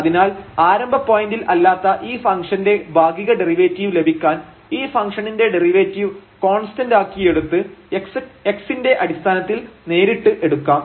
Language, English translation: Malayalam, So, to get the partial derivative of this function at this non origin point, then we have to we can just directly get the derivative of this function with respect to x treating this y as constant